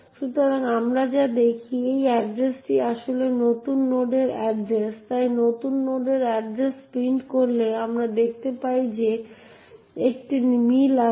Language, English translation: Bengali, So, if we, what we see is that this address is in fact the address of new node, so printing the address of new node we see that there is a match